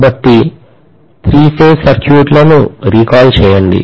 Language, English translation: Telugu, So, so much so for three phase circuits recalling